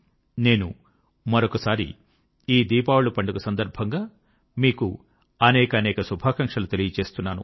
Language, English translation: Telugu, I once again wish you all the very best on this auspicious festival of Diwali